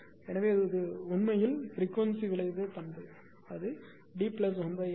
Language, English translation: Tamil, So, this is actually your frequency response characteristic D plus R and this is your beta